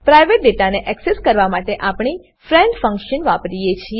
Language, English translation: Gujarati, To access the private data we use friend function